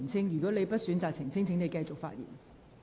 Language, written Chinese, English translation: Cantonese, 如果你選擇不澄清，請繼續發言。, If you choose not to elucidate please continue with your speech